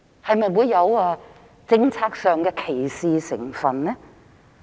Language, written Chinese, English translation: Cantonese, 是否有政策歧視成分呢？, Is this a kind of policy discrimination?